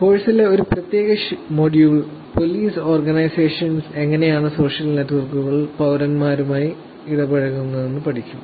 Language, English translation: Malayalam, A specific module in the course we will also study about how police organization are actually using social networks to interact with citizens